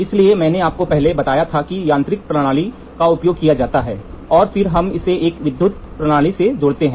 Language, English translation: Hindi, So, I told you earlier mechanical system is used and then we attach it to an electrical system